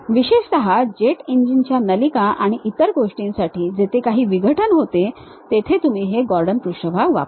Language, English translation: Marathi, Especially, for jet engine ducts and other things where certain abruption happens, you use this Gordon surfaces